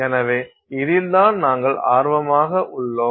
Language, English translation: Tamil, So, this is what we are interested in